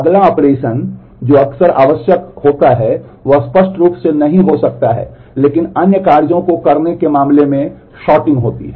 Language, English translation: Hindi, The next operation which is often required may not be explicitly, but in terms of doing other operations is sorting